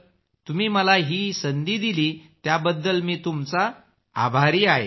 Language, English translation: Marathi, I am very grateful to you for giving me this opportunity